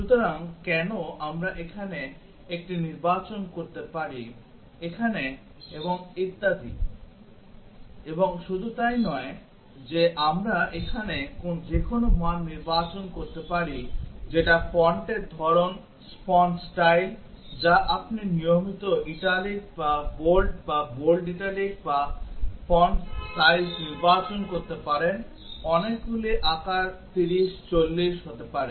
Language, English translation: Bengali, So, why we can select 1 here, here and so on and not only that we can select any value here that is the font type, the fonts style you can select either regular, italic, bold or bold italic and the font size there are many sizes may be 30, 40 of them